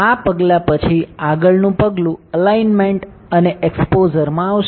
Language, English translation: Gujarati, After this step the next step would be alignment and exposure